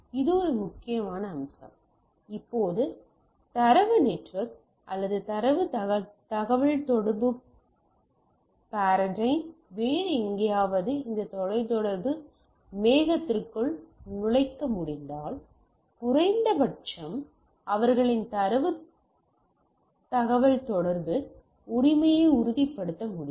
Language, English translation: Tamil, So, that is one important aspect, now if I can put somewhere other my data network or my data communication paradine into this enter this telecom cloud, then at least the backbone communication I can ensure with their data communication right